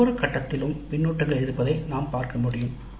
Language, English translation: Tamil, As we can see there are feedbacks at every stage